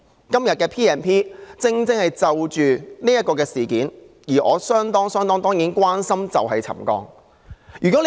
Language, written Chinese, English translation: Cantonese, 今天的議案正正是要處理此事，而我相當關心的，就是沉降問題。, The motion today precisely seeks to deal with this matter and my utmost concern is the settlement issue